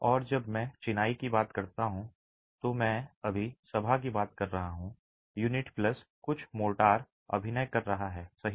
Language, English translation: Hindi, And when I talk of masonry, I am talking of the assembly now, unit plus some motor acting as a composite